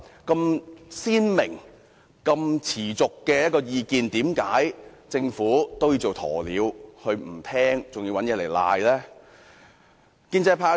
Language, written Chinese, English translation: Cantonese, 這麼鮮明、持續的意見，為何政府都要做鴕鳥不聽，還要耍賴？, Why has the Government turned a deaf ear to such a clear and lasting opinion by acting like an ostrich burying its head in the sand and even played the blame game?